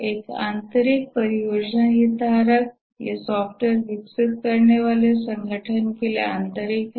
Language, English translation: Hindi, These are internal to the organization developing the software